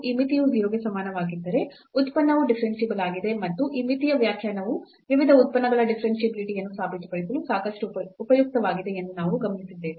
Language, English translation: Kannada, And, if this limit equal to 0 then the function is differentiable and we have observed that this limit definition was quite useful for proving the differentiability of various functions